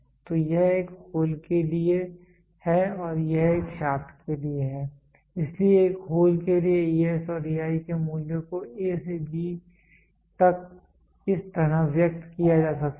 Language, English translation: Hindi, So, this is for a hole and this is for a shaft so the values of ES and EI for a hole can be expressed from A to G can be expressed like this